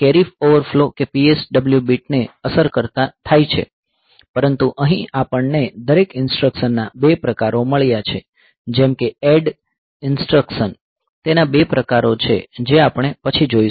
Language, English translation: Gujarati, So, that carry over flows that P s w bits are effected, but here we have got 2 variants of every instruction like ADD instruction, it has got 2 variant as we will see later